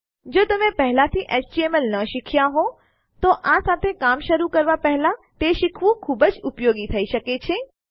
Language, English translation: Gujarati, If you havent learnt HTML already, it would be very useful to learn it before you start working with this